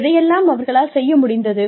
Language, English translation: Tamil, What they have been able to do